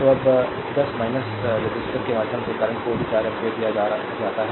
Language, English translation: Hindi, So now so, current through 10 ohm resistor is this is also given 4 ampere